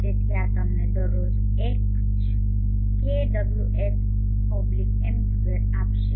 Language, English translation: Gujarati, So this will give you H kw/m2 per day